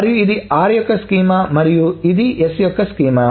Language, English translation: Telugu, This is the schema of r and the schema of s